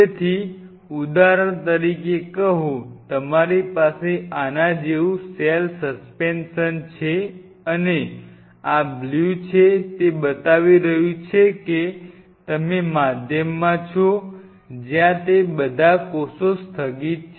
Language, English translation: Gujarati, So, say for example, you have a cell suspension like this and this is this blue is showing you’re in the medium ware it is all the cells are suspended